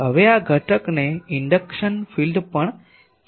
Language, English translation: Gujarati, Now, this component is also called induction field